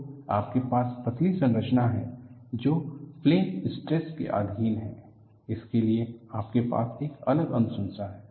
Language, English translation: Hindi, So, you have thin structures which are under plane stress; you have a different recommendation